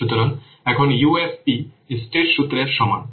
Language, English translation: Bengali, So, now, UFP is equal to Strait Photo formula